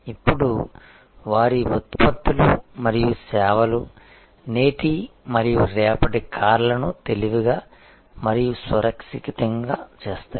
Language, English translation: Telugu, Now, their products are and the services are supposed to make the cars of today and of tomorrow smarter and safer